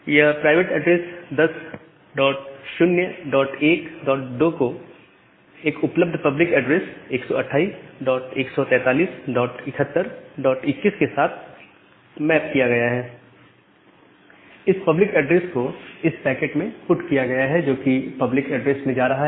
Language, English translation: Hindi, It is mapped to one of the available public address which is 128 dot 143 dot 71 dot 21 and that public address is put to the packet which is going in the public network